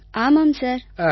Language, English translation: Tamil, yes sir, yes sir